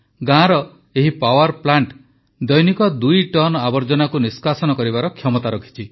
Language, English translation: Odia, The capacity of this village power plant is to dispose of two tonnes of waste per day